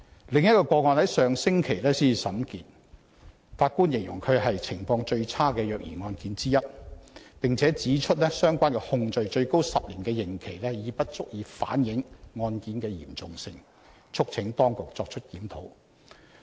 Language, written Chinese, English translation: Cantonese, 另一宗個案剛於上星期才審結，法官形容它是"情況最差的虐兒案件之一"，並指出相關控罪最高10年刑期已不足以反映該案件的嚴重性，促請當局作出檢討。, The trial of the other case was concluded just last week . The Judge described it as one of the worst child abuse cases and pointed out that the maximum penalty of 10 years imprisonment for the relevant charges could not adequately reflect the severity of the case urging the authorities to conduct a review